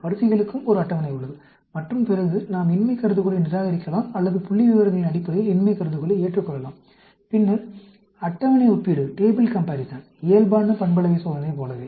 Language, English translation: Tamil, There is a table also for ranks, and then, we can reject the null hypothesis, or accept the null hypothesis, based on the statistics, and the table comparison, just like the normal parametric test